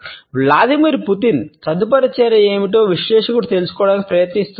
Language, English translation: Telugu, As far the analyst trying to figure out what Vladimir Putin’s next move is